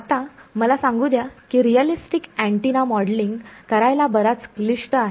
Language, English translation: Marathi, Now, let me on you that modeling realistic antenna is quite complicated